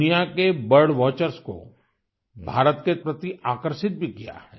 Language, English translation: Hindi, This has also attracted bird watchers of the world towards India